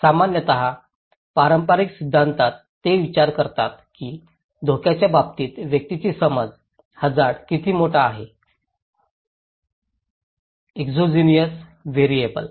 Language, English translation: Marathi, Generally, in the conventional theory, they think that individual's perception of risk matter, how big the hazard is; the exogenous variable